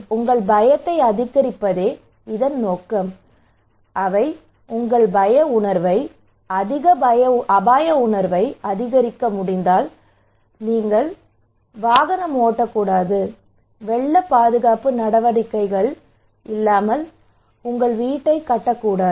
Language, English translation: Tamil, So fear, it is the target the objective is to increase your fear if they can increase your fear that means if they can increase your risk perception, high risk perception once you have then you should not do rash driving you should not build your house without flood protective measures